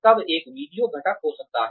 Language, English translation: Hindi, Then there could be a video component